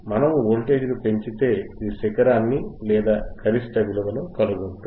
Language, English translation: Telugu, wWe increase athe voltage, it will just detect the peak it will detect the peak